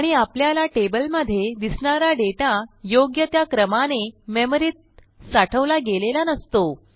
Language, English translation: Marathi, And, the data that we see in tables are not stored exactly in the same orderly manner